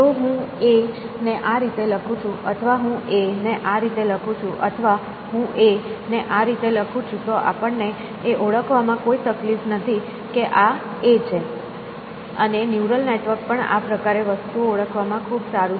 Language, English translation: Gujarati, So, if I write A like this, if I write A like this, if I write A like this; we have no difficulty in recognizing that these are A and neural network is also very good at this sort of a thing